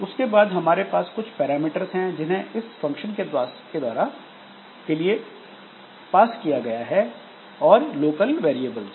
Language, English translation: Hindi, Then we have got the parameters that are passed for a function and the local variables